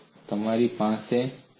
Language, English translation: Gujarati, So this is what you have